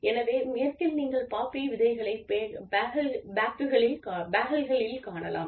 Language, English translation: Tamil, So, in the West, you can find poppy seeds, on bagels